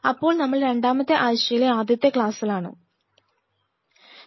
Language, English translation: Malayalam, So, we are into week 2, lecture 1; W 2, L 1